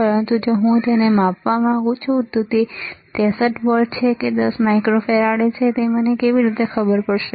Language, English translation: Gujarati, But if I want to measure it whether it is 63 volts or 10 microfarad or not, how would I know